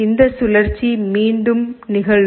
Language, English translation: Tamil, This cycle will repeat